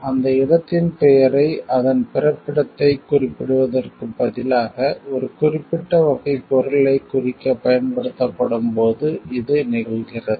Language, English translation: Tamil, It occurs when the name of the place is used to designate a particular type of product, rather than to indicate it is place of origin